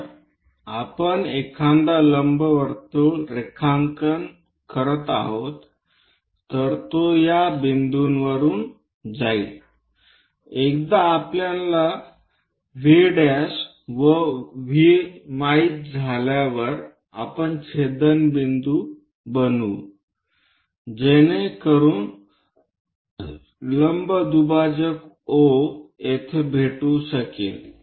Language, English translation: Marathi, If we are drawing an ellipse, it goes via this points, once we know V prime and V we can make intersection point so that a perpendicular bisector meets at O